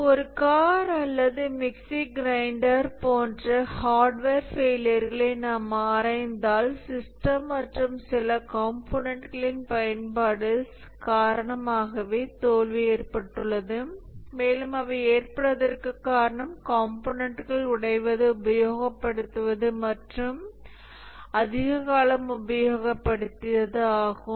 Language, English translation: Tamil, So, if we analyze hardware failures like a car or a mixer grinder, we find that the failure is due to uses of the system and some components they wear and they break and the failures are largely due to component breaking due to use or aging